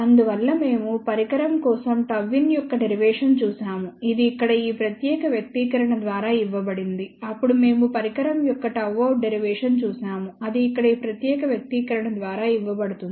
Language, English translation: Telugu, Hence we looked at the derivation for gamma in of the device, which is given by the this particular expression over here, then we looked at the derivation of gamma out of the device, which is given by this particular expression here